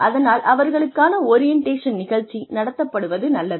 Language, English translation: Tamil, So, it is nice to have an orientation program